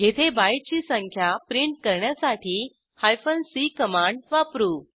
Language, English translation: Marathi, Here, c command is used to print the byte counts